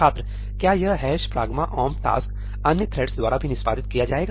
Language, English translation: Hindi, Is this ëhash pragma omp taskí going to be executed by other threads also